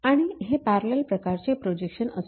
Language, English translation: Marathi, And it is a parallel projection technique